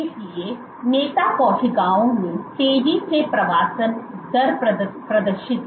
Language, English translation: Hindi, So, the leader cells exhibited faster migration rate